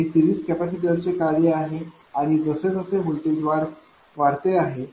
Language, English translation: Marathi, That is the function of series capacitor and as the voltage is increased